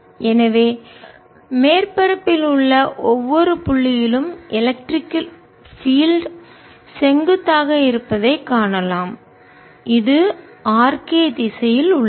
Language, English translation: Tamil, so we can see electric field is perpendicular at every point on the surface which is along the r k direction